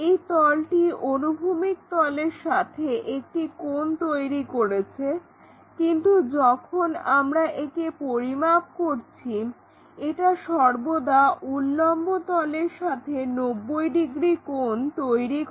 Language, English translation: Bengali, It makes 90 degrees angle with the horizontal plane, makes an angle with the vertical plane